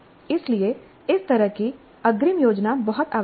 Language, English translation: Hindi, So this kind of upfront planning is very essential